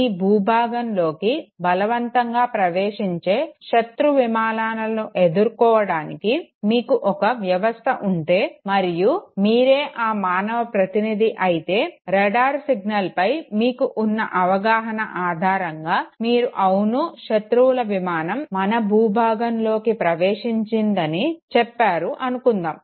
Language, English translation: Telugu, If you have a system for you know combating the enemy aircrafts that is forcibly entering into your territory and you are the operator who based on the understanding of the radar signal gives the signal that fine the enemy aircraft has entered into our territory okay